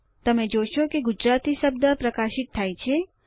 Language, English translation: Gujarati, You will observe that the word Gujarati on the page gets highlighted